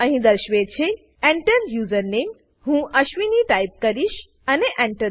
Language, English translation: Gujarati, Here it is displayed Enter username: I will type ashwini press Enter